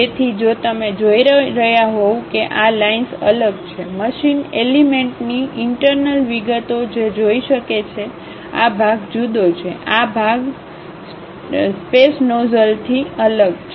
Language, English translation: Gujarati, So, if you are seeing these lines are different, the interior details of the machine element one can see; this part is different, this part is different the stress nozzles